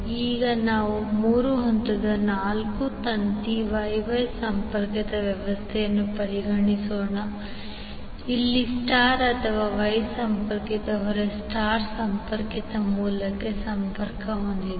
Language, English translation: Kannada, Now let us consider three phase four wire Y Y connected system where star or Y connected load is connected to star connected source